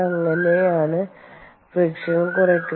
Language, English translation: Malayalam, so that the friction is reduced